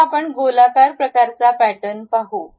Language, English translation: Marathi, Now, let us look at circular kind of pattern